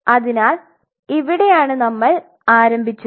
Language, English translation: Malayalam, So, this is where we all started right